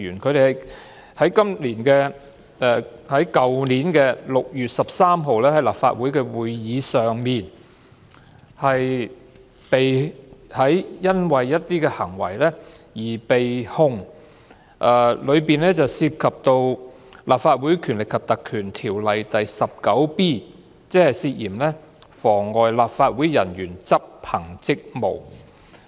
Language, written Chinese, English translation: Cantonese, 他們因為去年6月13日在立法會會議上的一些行為而被控，當中涉及《立法會條例》第 19b 條，涉嫌妨礙立法會人員執行職務。, They have been prosecuted for certain acts committed during the meeting of the Legislative Council held on 13 June last year . Each of them is suspected of obstructing an officer of the Legislative Council in the execution of his duty contrary to section 19b of the Legislative Council Ordinance